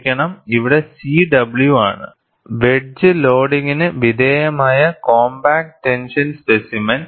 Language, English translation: Malayalam, I am sorry, here it is C W is compact tension specimen, subjected to wedge loading